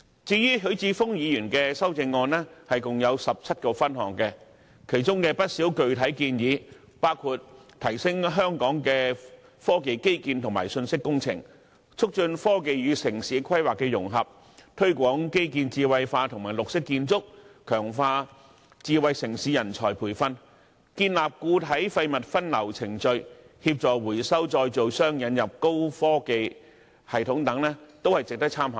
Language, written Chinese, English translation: Cantonese, 至於許智峯議員的修正案共有17個分項，當中不少具體建議，包括提升香港科技基建和信息工程、促進科技與城市規劃的融合、推廣基建智慧化和綠色建築、強化智慧城市人才培訓、建立固體廢物分流程序、協助回收再造商引入高科技系統等，也是值得參考的。, As for Mr HUI Chi - fungs amendment comprising 17 items there are quite a few specific suggestions worthy of our consideration including upgrading the technological infrastructure and information engineering of Hong Kong facilitating the integration of technology into urban planning promoting the intellectualization of infrastructure and green architecture strengthening smart city manpower training establishing a diversion process for solid wastes and assisting waste recyclers in introducing high - technology systems